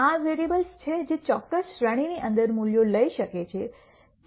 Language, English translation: Gujarati, These are variables that can take values within a certain range